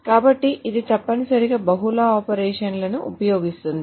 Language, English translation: Telugu, So, it essentially uses multiple operations